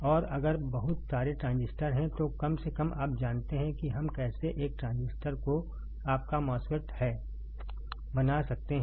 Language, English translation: Hindi, And if there are a lot of transistors at least you know how we can fabricate one transistor, one transistor that is your MOSFET